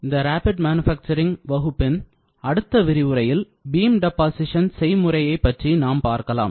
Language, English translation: Tamil, So, the next lecture of discussion in this course of Rapid Manufacturing, we will see the topic on Beam Deposition Processes